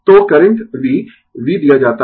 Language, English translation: Hindi, So, current the v, v is given